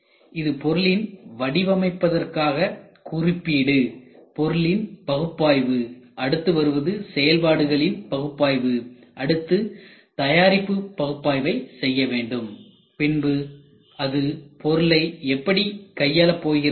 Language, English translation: Tamil, So, this is product design specification, then product analysis then what comes is functional analysis, then you do manufacturing analysis, then this gets split into handling analysis